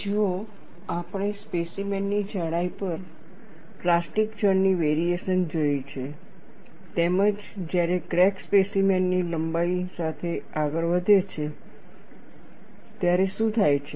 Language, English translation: Gujarati, See, we have looked at variation of plastic zone over the thickness of the specimen, as well as, what happens when the crack proceeds along the length of the specimen, how the situation takes place